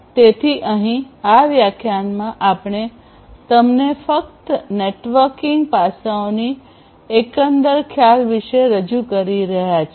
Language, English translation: Gujarati, So, here in this lecture we are simply introducing you about the overall concept of the networking aspects